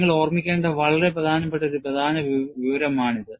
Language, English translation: Malayalam, This is a very key, important information, that you have to keep in mind